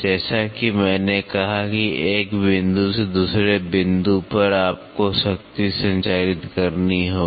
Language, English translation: Hindi, As, I said from one point to another point you have to transmit power